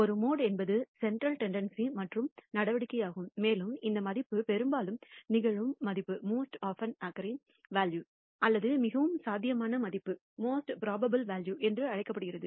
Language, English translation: Tamil, A mode is another measure of central tendency and this value is the value that occurs most often or what is called the most probable value